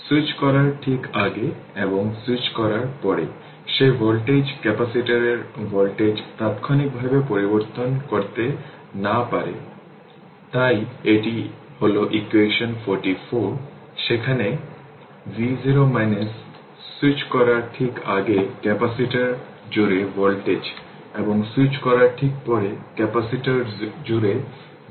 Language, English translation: Bengali, Just your before switching and after switching that I can if voltage ah capacitor voltage cannot change instantaneously, so this is equation 44, where v 0 minus voltage across capacitor just before switching, and v 0 plus voltage across capacitor just after switching right